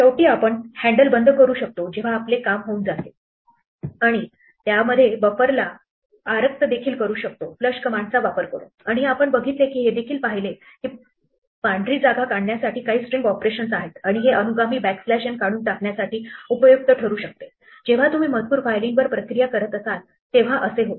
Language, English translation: Marathi, Finally, we can close the handle when we have done and in between that we can flush the buffer by using flush command and we also saw that there are some string operations to strip white space and this can be useful to remove these trailing backslash n which come whenever you are processing text files